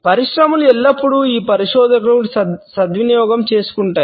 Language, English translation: Telugu, Industries have always taken advantage of these researchers